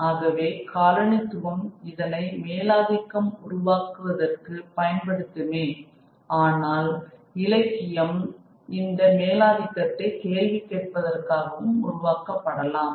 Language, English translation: Tamil, So if colonialism is using it to create hegemony, literature can also be created to question that hegemony